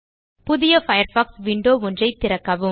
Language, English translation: Tamil, And open a new Firefox window